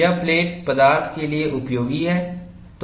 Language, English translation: Hindi, This is useful for plate stock